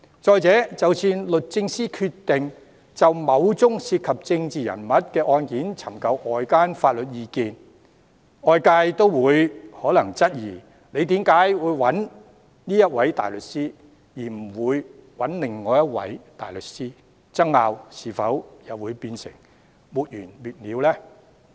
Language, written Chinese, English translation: Cantonese, 再者，即使律政司決定就某宗涉及政治人物的案件尋求外間法律意見，外界也可能質疑為何要找這一位大律師而不是其他大律師，爭拗會否變得沒完沒了呢？, Moreover even if Doj decides to seek outside legal advice with regard to a certain case which involves a political figure outsiders may query why this particular barrister is chosen but not the other . Will the dispute drag on incessantly?